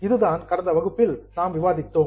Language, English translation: Tamil, That is what we had discussed in the last session